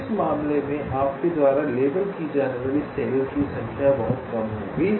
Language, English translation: Hindi, so number of cells you are labeling in this case will be much less